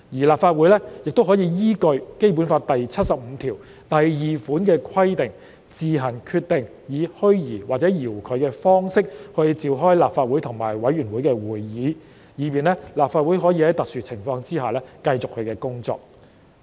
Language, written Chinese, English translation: Cantonese, 立法會也可以依據《基本法》第七十五條第二款的規定，自行決定以虛擬或遙距的方式召開立法會和委員會的會議，以便立法會可以在特殊情況下繼續其工作。, The Legislative Council is empowered under Article 752 of the Basic Law to decide on its own the holding of meetings of the Legislative Council and committees virtually or remotely for the purpose of enabling the Legislative Council to carry on with its work in exceptional circumstances